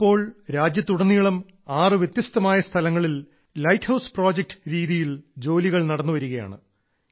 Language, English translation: Malayalam, For now, work on Light House Projects is on at a fast pace at 6 different locations in the country